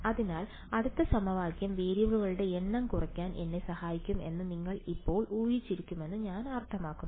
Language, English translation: Malayalam, So, I mean you would have guessed by now, the next equation is going to give is going to help me further reduce the number of variables